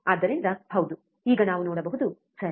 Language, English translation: Kannada, So, yes, now we can see, right